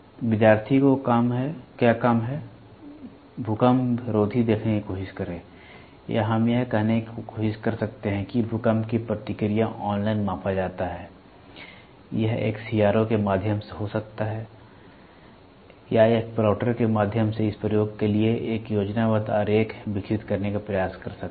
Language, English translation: Hindi, Task to student is try to look at the seismic or we can try to say earthquake response is measured online it can be through a CRO or it can be through a plotter try to develop a schematic diagram for this application